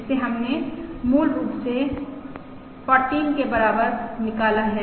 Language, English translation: Hindi, this we have derived as basically equal to 14